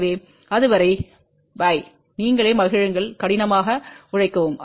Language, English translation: Tamil, So, till then bye, enjoy yourself work hard